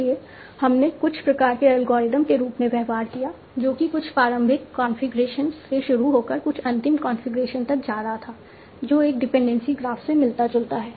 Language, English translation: Hindi, So we treated as some sort of algorithmic way of starting from some initial configuration going to some final configuration that resembles a dependency graph